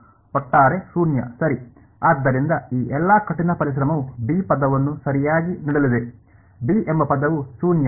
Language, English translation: Kannada, Overall 0 right; so, all of this hard work is going to give term b right, term b is equal to 0 ok